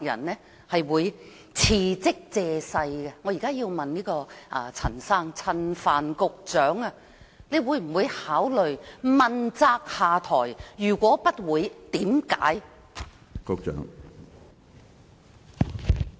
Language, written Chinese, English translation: Cantonese, 我現在要問陳帆局長，你會否考慮問責下台；如果不會，原因是甚麼？, Secretary Frank CHAN will you consider stepping down as a show of accountability? . If not why?